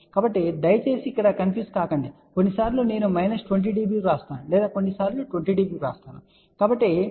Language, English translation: Telugu, So, please don't get confused sometimes I write minus 20 db or sometimes write 20 db